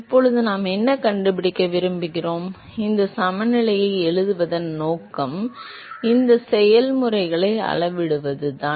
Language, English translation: Tamil, Now what do we want to find, the purpose of writing these balances is to quantify these processes, right